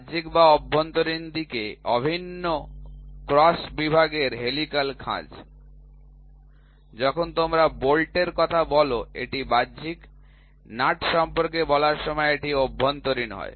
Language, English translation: Bengali, Helical groove of uniform cross section on the external and internal, when you talk about bolt it is external; when you talk about nut it is internal